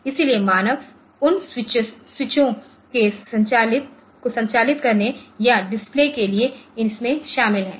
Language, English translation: Hindi, So, human beings are involved in operating those switches or looking on to it on to the display and all